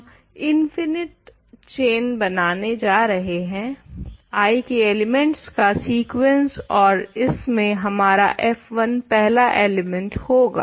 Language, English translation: Hindi, We are going to can construct an infinite chain, sequence of elements of I and this is our first element f 1 is the first one